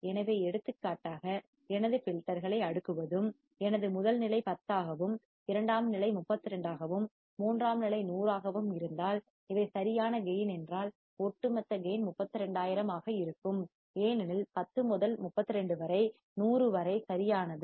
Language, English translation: Tamil, So, for example, what is saying that if I cascade my filters and my first stage is 10, second stage is 32, third stage is 100, these are gain right then the overall gain would be 32,000 because 10 into 32 into 100 correct